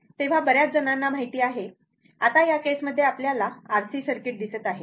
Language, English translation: Marathi, So, so many you know, in this case, now we are seeing that your RC circuit